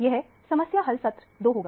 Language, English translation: Hindi, This will be problem solving session two